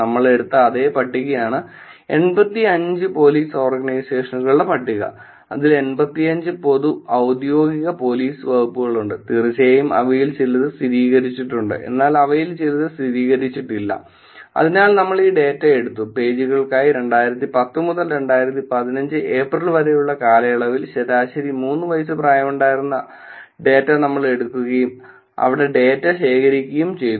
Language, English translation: Malayalam, It's the same list that we took which is 85 Police Organizations list, of there are 85 public and official police departments of course some of them are verified some of them are not verified, so we took this data and we took the data for the pages that were at least about average age of 3 years between 2010 and April 2015, where the data collected and there were 47,474 wall posts and status updates